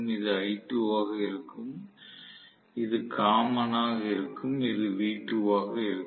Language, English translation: Tamil, This is going to be l2 and this is going to be common and this is going to be v2